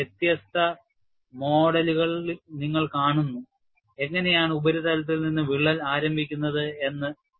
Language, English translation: Malayalam, And here, you see different models how crack initiates from the surface